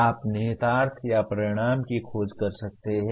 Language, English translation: Hindi, You may be exploring the implications or consequences